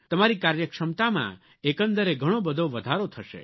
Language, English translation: Gujarati, Your overall efficiency will rise by leaps and bounds